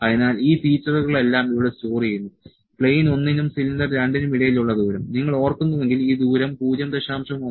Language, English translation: Malayalam, So, these features are all stored here the distance between plane 1 and cylinder 2; if you remember this distance was 0